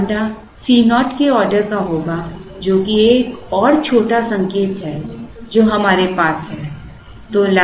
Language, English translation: Hindi, So, lambda would be of the order of C naught that is another little hint that we have